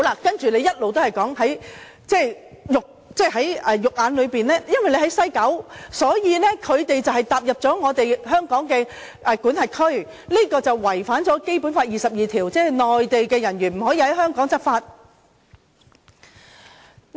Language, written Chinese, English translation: Cantonese, 反對派一直說，因為在西九，所以當內地人員踏進香港的管轄區，便違反《基本法》第二十二條，即內地人員不能在香港執法。, The opposition has been saying that once Mainland officers stepping into the area under Hong Kong jurisdiction in West Kowloon Station they violate Article 22 of the Basic Law which prohibits Mainland personnel from enforcing laws in Hong Kong